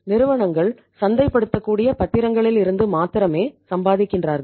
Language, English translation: Tamil, Companies are earning only on the marketable securities